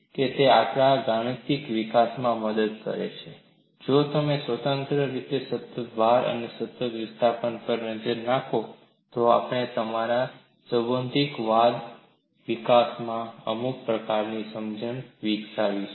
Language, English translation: Gujarati, It helps in our mathematical development, if you look at independently constant load and constant displacement, we would develop certain kind of understanding in your theoretical development